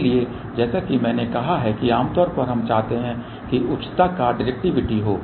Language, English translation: Hindi, So, as I said generally we would like directivity to be high